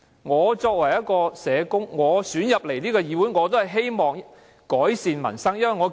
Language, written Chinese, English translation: Cantonese, 我作為一名被選進議會的社工，亦希望為改善民生出一分力。, Being a social worker elected to join the Council I wish to contribute to promoting peoples livelihood